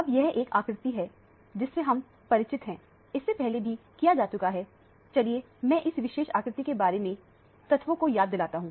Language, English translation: Hindi, Now, this is a diagram that is familiar to you, this has already been dealt with earlier let me recap the facts about this particular diagram